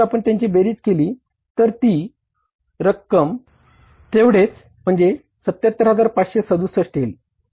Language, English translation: Marathi, This will work out as totally if you totally it up this will work out as 77,567